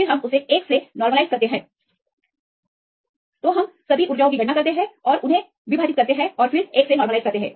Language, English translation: Hindi, Then we normalize to 1; so, this is add up and divided by these total energy, so then normalize to 1